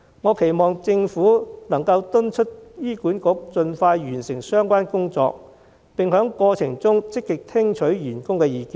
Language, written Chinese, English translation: Cantonese, 我期望政府能夠敦促醫管局盡快完成相關工作，並在過程中積極聽取員工的意見。, I hope that the Government will urge HA to finish the relevant work as soon as possible and actively listen to the views of staff members in the process